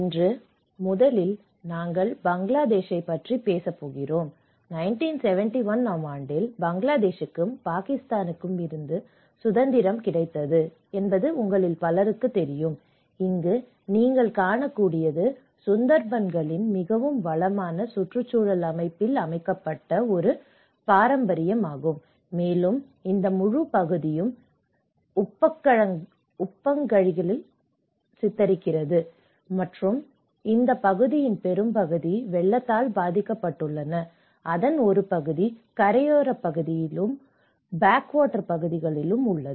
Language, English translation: Tamil, First of all today, we are going to talk about the Bangladesh, and many of you understand that you know in Bangladesh has been recently, not recently but at least from 1971, they got the independence from Pakistan and what you can see here is a heritage laid in a very rich ecosystem of the Sundarbans, and this whole part is you have all these backwaters, and much of this area has been prone to the floods, and part of it is on to the coastal side and as well as the backwater areas